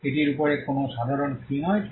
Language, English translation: Bengali, Is there a common theme over it